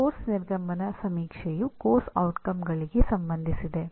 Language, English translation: Kannada, The course exit survey is related to the course outcomes